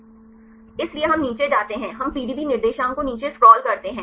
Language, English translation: Hindi, So, we go down we scroll down the PDB coordinates